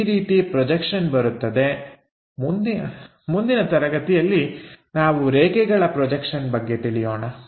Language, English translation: Kannada, So, in the next class we will learn more about line projections